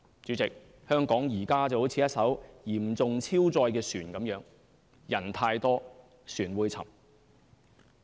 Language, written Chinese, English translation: Cantonese, 主席，香港現在就如一艘嚴重超載的船，人太多，船會沉。, President Hong Kong is like a severely overloaded vessel the more people it carries the more likely it will sink